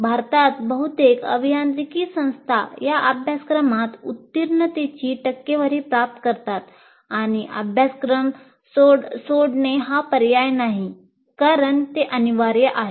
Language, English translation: Marathi, And in India, most engineering institutes achieve a high pass percentage in this course, and dropping out of the course is not an option because it's compulsory